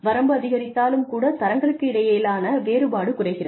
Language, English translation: Tamil, The range is increased, but the difference, between the grades is reduced